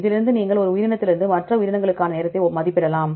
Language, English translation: Tamil, From this you can estimate the time approximately from one organism to other organisms